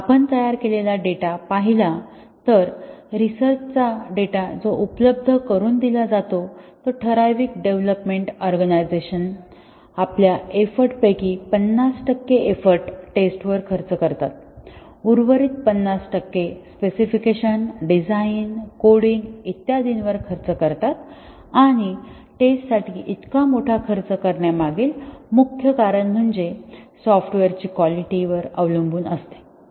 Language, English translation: Marathi, If you look at the data that is made; research data that is made available a typical organization development organization spends 50 percent of its effort on testing, the rest 50 percent on specification design, coding, etcetera and the main reason behind spending such huge effort on testing is that the quality of the software depends to a large extent on the thoroughness of testing and now the customers are very quality conscious